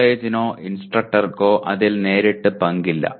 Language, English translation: Malayalam, The college or instructor has no direct role in that